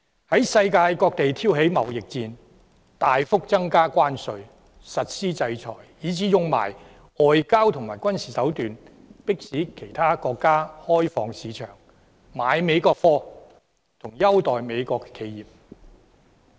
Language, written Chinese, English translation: Cantonese, 在世界各地挑起貿易戰、大幅增加關稅、實施制裁，以至運用外交和軍事手段，迫使其他國家開放市場、購買美國貨及優待美國企業。, He is starting trade wars all over the world mandating hefty tariffs on imports imposing sanctions and also using diplomatic and military means to force other countries to open up their markets buy American goods and give American businesses preferential treatment